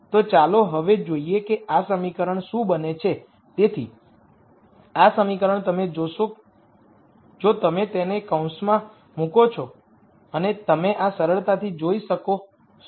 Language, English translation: Gujarati, So, this equation you would see is if you put this in a bracket and you will see this easily